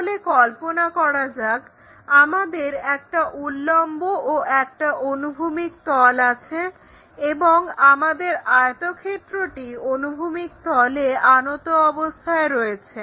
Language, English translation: Bengali, So, for that let us visualize that we have something like a vertical plane, there is a horizontal plane and our rectangle is inclined to horizontal plane